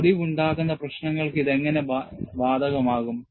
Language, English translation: Malayalam, How this is applied to fracture problems